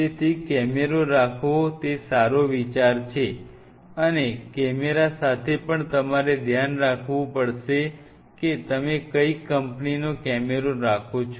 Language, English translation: Gujarati, So, it is always a good idea to have the camera and with the camera also you have to be careful which company’s camera you are going to go through